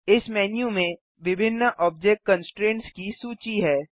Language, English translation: Hindi, This menu lists various object constraints